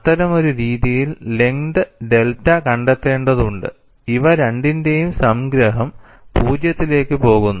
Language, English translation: Malayalam, And we have to find out the length delta in such a fashion, the summation of these two goes to 0